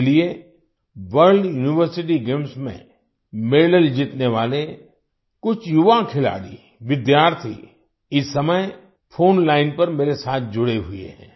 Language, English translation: Hindi, Hence, some young sportspersons, students who have won medals in the World University Games are currently connected with me on the phone line